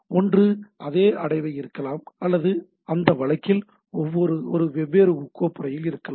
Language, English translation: Tamil, Either it may be same folder or in a different folder in that case I have to specify the particular folder